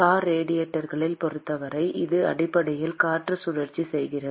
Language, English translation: Tamil, In case of car radiators, it is basically air which is being circulated